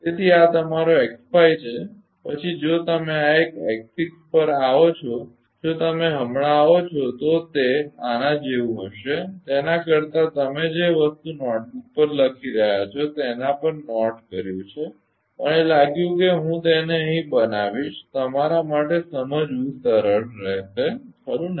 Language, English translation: Gujarati, So, this is your x 5 then if you come to x 6 this one this one if you come right then just it will be like this rather than the writing on the notebook you are making note of this thing I thought I i will make it here such that it will be easy for you to understand right